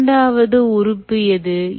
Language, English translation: Tamil, alright, what is the second one